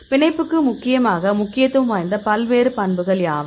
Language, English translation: Tamil, What are the various properties which are mainly important for binding